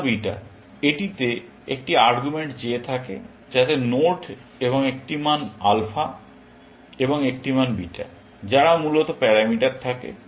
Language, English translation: Bengali, Alpha, beta; it takes an argument j, which is the node, and a value; alpha, and a value; beta, which are parameters, essentially